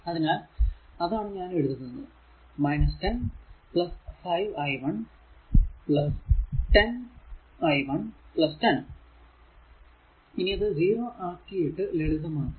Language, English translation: Malayalam, So, that is I am writing minus 10 plus 5 i 1 plus 10 into i 1 plus 10, now you simplify is equal to 0 , now you simplify